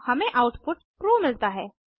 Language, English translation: Hindi, We get output as true